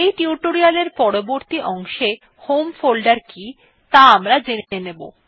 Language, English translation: Bengali, We will see later in this tutorial what the home folder is